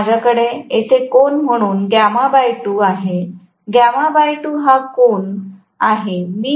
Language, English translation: Marathi, So, I will have gamma by 2 as the angle here, gamma by 2 as the angle here